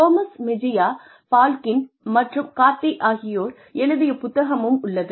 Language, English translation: Tamil, There is this book by, Gomez Mejia, Balkin, and Cardy